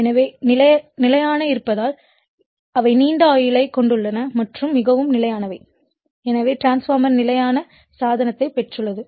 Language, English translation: Tamil, So, being static they have a long life and are very stable so, the transformer get static device